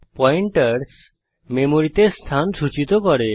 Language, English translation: Bengali, Pointers store the memory address